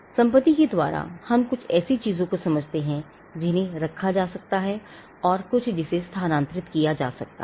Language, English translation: Hindi, By property we understand as something that can be possessed, and something that can be transferred